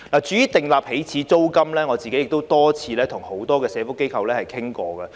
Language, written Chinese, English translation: Cantonese, 至於訂立起始租金，我亦多次與多個社福機構討論。, I have also discussed the proposal of setting an initial rent with a number of social welfare organizations on various occasions